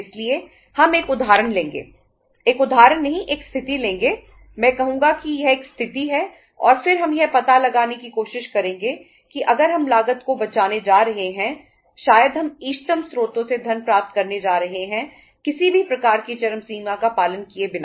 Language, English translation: Hindi, So we will take a say an example uh a situation not example I would say it is a situation and then we would try to find out that if we are going to uh say save the the cost, maybe we are going to have the funds from the optimum uh sources means without uh following any kind of extremes